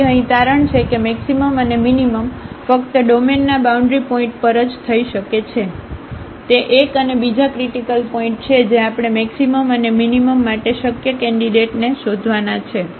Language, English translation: Gujarati, So, the conclusion here that maximum and minimum can occur only at the boundary points of the domain; that is a one and the second the critical points which we have to look for the possible candidates for maximum and minimum